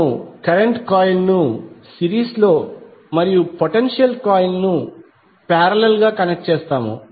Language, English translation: Telugu, Will connect the current coil in series and potential coil in parallel